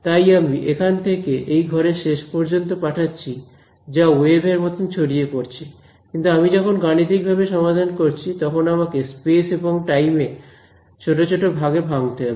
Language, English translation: Bengali, So, physically I send away from here to the end of this room it goes like a wave, but when I want to solve it numerically I have to discretize chop up space and time of this finite segments